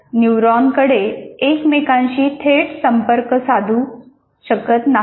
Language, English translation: Marathi, Neurons have no direct contact with each other